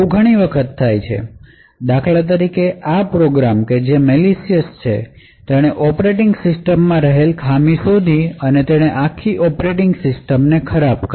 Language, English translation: Gujarati, So, this occurs quite often what we see is that for example for this program is malicious it has found a bug in the operating system and it has created and exploit and has compromise the entire operating system